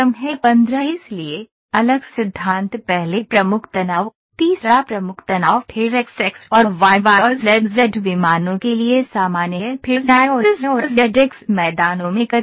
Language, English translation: Hindi, So, the different principle stresses first principal stress, third principal stress then stress is normal to xx and yy and zz planes then shear in xy and yz and zx plains